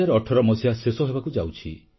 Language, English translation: Odia, The year 2018 is about to conclude